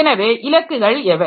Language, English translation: Tamil, So, what are the goals